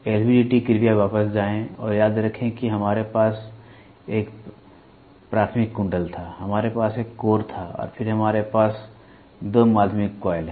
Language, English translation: Hindi, LVDT please go back and remember we had a primary coil, we had a core and then we have 2 secondary coils